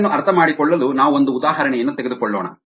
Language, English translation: Kannada, to understand this, let us take an example